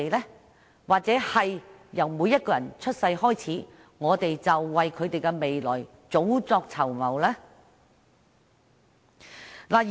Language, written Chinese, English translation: Cantonese, 又或是，在每個人一出生後，便為他們的未來及早籌謀呢？, Or why should we refuse to make early planning for everybodys future right after birth?